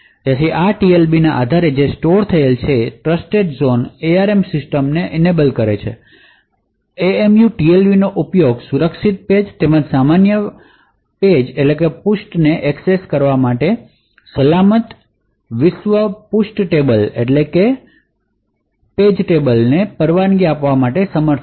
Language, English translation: Gujarati, So, based on this TLB which is stored Trustzone enable ARM systems the MMU would be able to use the TLB to say permit a secure world page table to access secure pages as well as normal world pages